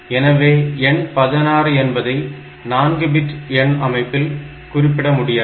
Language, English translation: Tamil, So, it cannot be the number 16 cannot be represented in a 4 bit number system